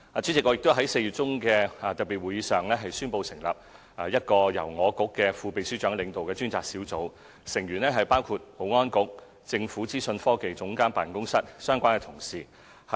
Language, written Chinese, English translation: Cantonese, 主席，我在4月中的特別會議上，宣布成立一個由我局副秘書長領導的專責小組，成員包括保安局和政府資訊科技總監辦公室的相關同事。, President I announced in the special meeting held in mid - April the setting up of a Task Force which would be led by a Deputy Secretary of this Bureau with membership consisting of relevant colleagues from the Security Bureau and the Office of the Government Chief Information Officer